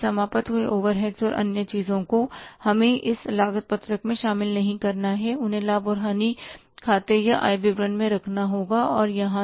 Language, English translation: Hindi, After that finished overheads and other things we have not to include here in this cost sheet they have to be taken into account in the profit and loss account or income statement and not here